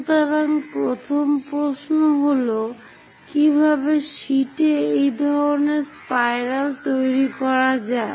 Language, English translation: Bengali, So, the first question is how to construct such kind of spirals on sheets